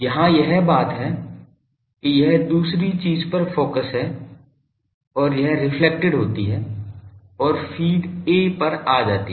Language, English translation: Hindi, Here it is that thing that it is focused on the other weep thing and it gets reflected and come to feed A